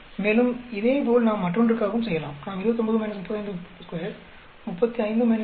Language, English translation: Tamil, And, similarly we can do for the other one also; we will get 29 minus 35 square, 35 minus 27